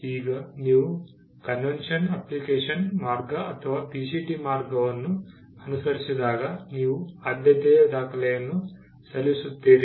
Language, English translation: Kannada, Now when you follow the convention application route or the PCT route, you file a priority document